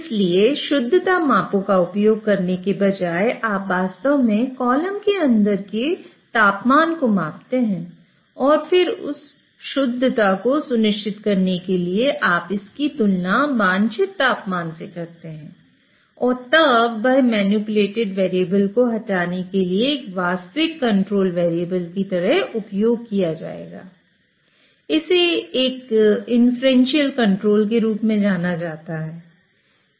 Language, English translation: Hindi, So, rather than using purity measurements, you would actually measure the temperature inside the column and then compare it with whatever is the desired temperature in order to ensure that purity and then that would be used as a actual controlled variable in order to move the manipulated variable